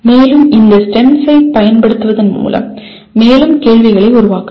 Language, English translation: Tamil, And you can also produce more questions by using these STEMS